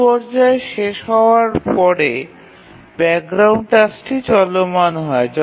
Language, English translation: Bengali, So as it completes, then the background tasks start running